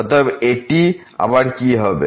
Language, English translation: Bengali, So, what will be this again